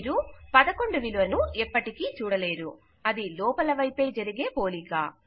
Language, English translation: Telugu, We never see the value of 11, its only an inside comparison